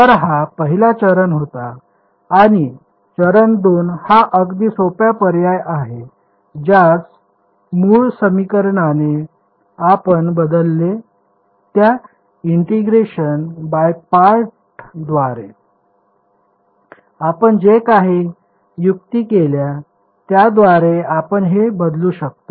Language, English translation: Marathi, So, this was step 1 and the step 2 is very simple substitute this into the original equation whatever trick we did integration by parts we substituted back in